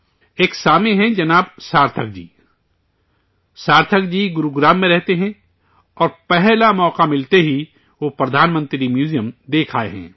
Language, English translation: Urdu, One such listener is Shrimaan Sarthak ji; Sarthak ji lives in Gurugram and has visited the Pradhanmantri Sangrahalaya at the very first opportunity